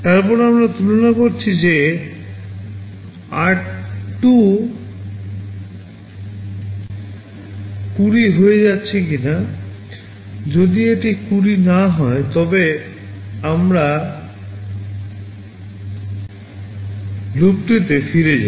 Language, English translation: Bengali, Then we are comparing whether r2 is becoming 20 or not, if it is not 20 then we go back to loop